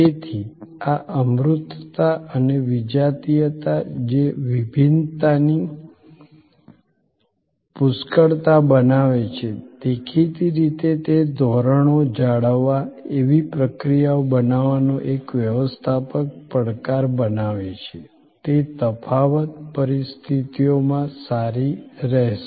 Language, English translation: Gujarati, So, this intangibility and heterogeneity, which creates a plethora of variances; obviously, it creates a managerial challenge of maintaining standards, of creating processes that will hold good under difference situations